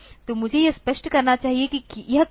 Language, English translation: Hindi, So, let me just clarify this, what is it